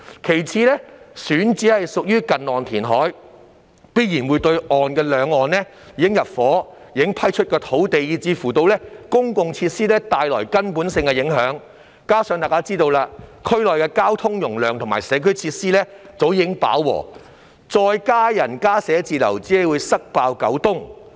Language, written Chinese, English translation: Cantonese, 其次，選址屬於近岸填海，必然對兩岸已入伙、已批出的土地，以至公共設施帶來根本性的影響，加上——眾所周知——區內交通容量及社區設施早已飽和，再增加人流和增加寫字樓只會"塞爆九東"。, Secondly the selected site requires near - shore reclamation which will surely have a fundamental impact on the occupied and granted land or even the public facilities on both sides . In addition―as everyone knows―the traffic capacity and community facilities in the district have reached their capacity long ago . Any further increase in the flow of people and office space will only overcrowd Kowloon East